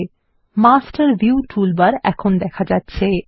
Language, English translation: Bengali, Notice, that the Master View toolbar is also visible